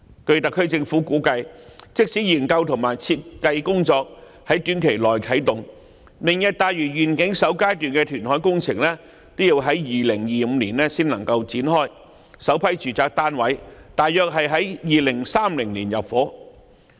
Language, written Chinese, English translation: Cantonese, 據特區政府估計，即使研究和設計工作在短期內啟動，"明日大嶼願景"首階段的填海工程也要在2025年才能夠展開，首批住宅單位約於2030年入伙。, In the SAR Governments projection even if it commences studies and design very shortly the first phase of the reclamation project under the Lantau Tomorrow Vision can only be initiated in 2025 and the first batch of residential units can only be offered for peoples occupation around 2030